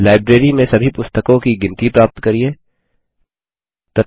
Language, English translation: Hindi, Get a count of all the books in the Library